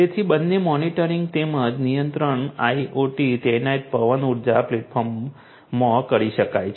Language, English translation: Gujarati, So, both monitoring as well as control could be done in an IIoT deployed wind energy platform